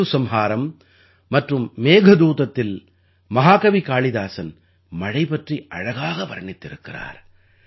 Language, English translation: Tamil, In 'Ritusanhar' and 'Meghdoot', the great poet Kalidas has beautifully described the rains